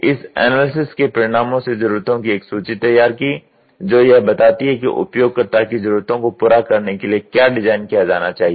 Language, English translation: Hindi, The results of the analysis will be prepared of a needs list that represents a comprehensive statement structured to state just what should be designed to satisfy the user needs